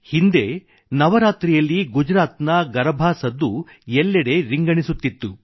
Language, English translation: Kannada, Earlier during Navratra, the notes of Garba of Gujarat would reverberate all over…